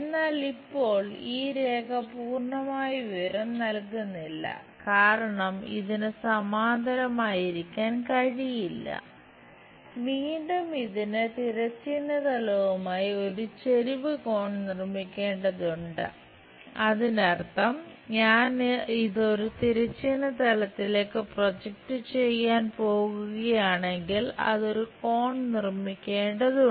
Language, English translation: Malayalam, But now, this line is not the complete information because it cannot be parallel again it has to make an inclination angle with respect to horizontal plane; that means, if I am going to project this one onto horizontal plane, it has to make an angle